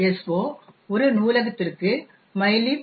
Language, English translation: Tamil, so compiles to a library libmylib